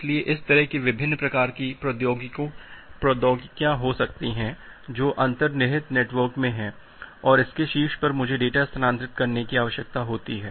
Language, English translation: Hindi, So, there that can be this kind of the various type of technologies which are there in the underlying network, and on top of that I need to transfer the data